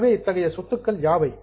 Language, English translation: Tamil, So, which are such items